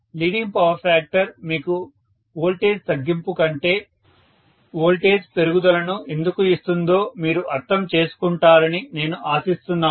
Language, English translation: Telugu, I hope so that you guys are understand why leading power factor actually gives you increase in the voltage rather than reduction in the voltage